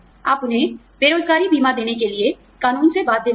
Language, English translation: Hindi, You are not bound by law, to give them, unemployment insurance